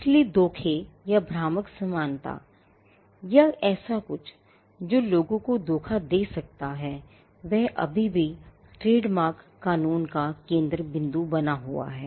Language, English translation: Hindi, So, deception or deceptive similarity or something that could deceive people still remains at the centre or still remains the focal point of trademark law